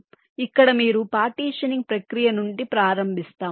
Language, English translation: Telugu, so here you start from the partitioning process